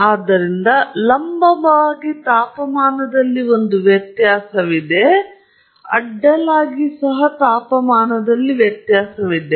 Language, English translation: Kannada, And even…so, vertically there can be a difference in temperature; horizontally also there is a difference in temperature